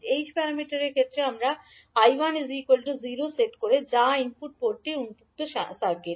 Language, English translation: Bengali, In case of h parameters we set I1 equal to 0 that is input port open circuited